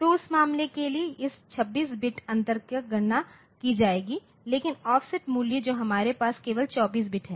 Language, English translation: Hindi, So, if you if you want to do that then this 26 bit has to be stored now this offset part we have got space for only 24 bits